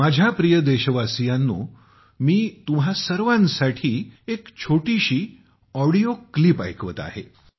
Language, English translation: Marathi, My dear countrymen, I am playing a small audio clip for all of you